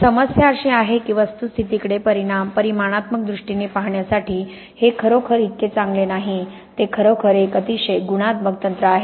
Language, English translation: Marathi, The problem is that these are not really such good for looking at thing is in a quantitative way they are really a very qualitative technique